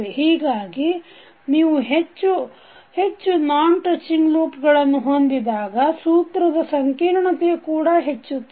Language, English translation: Kannada, So, if you have larger number of non touching loops the complex of the formula will increase